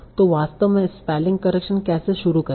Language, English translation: Hindi, So how do I actually start doing the spell correction